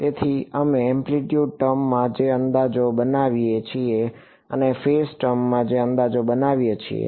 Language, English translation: Gujarati, So, the approximations that we make in the amplitude term and the approximations we make in the phase term